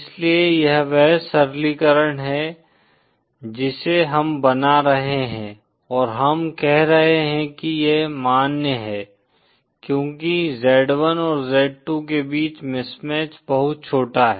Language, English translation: Hindi, So that is the simplification we are making & we are saying that it’s valid because the mismatch between z1 & z2 is very small